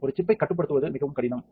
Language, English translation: Tamil, So, chip which is very hard to control